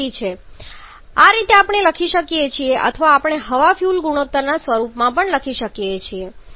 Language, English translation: Gujarati, If you want to write like we have used the air fuel ratio earlier